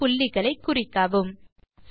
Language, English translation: Tamil, Mark points of intersection